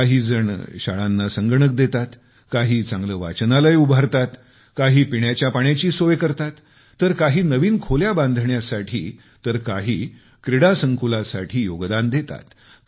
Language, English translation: Marathi, Some arrange for systems for computerization, some organize a better library, others go for revamping drinking water facilities or new rooms